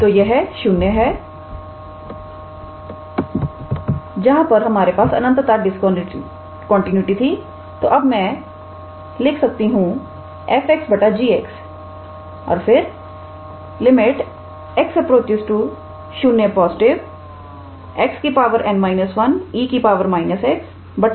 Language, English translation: Hindi, So, it is 0 where we have then infinite discontinuity I can write f x by g x and this will be limit x going to 0 positive f x is x to the power n minus 1 e to the power minus x times 1 by x to the power 1 minus n